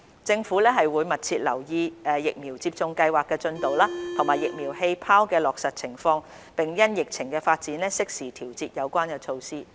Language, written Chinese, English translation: Cantonese, 政府會密切留意疫苗接種計劃的進度及"疫苗氣泡"的落實情況，並因應疫情發展，適時調節有關措施。, The Government will closely monitor the progress of the vaccination programme and the implementation of the vaccine bubble and having regard to the development of the epidemic timely adjust the relevant measures